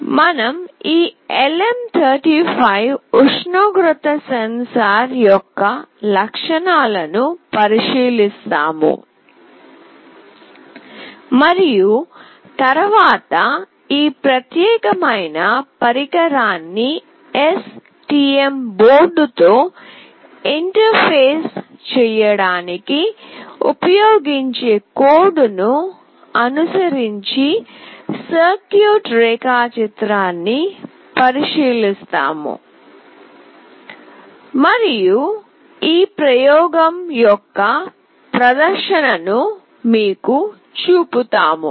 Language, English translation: Telugu, We look into the properties of this LM35 temperature sensor and then we will look into the circuit diagram followed by the code that is used to interface this particular device with STM board, and then will show you the demonstration of this experiment